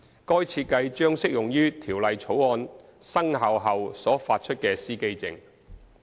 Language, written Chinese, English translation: Cantonese, 該設計將適用於《條例草案》生效後所發出的司機證。, That design will be applied to the driver identity plates issued after the commencement of the Bill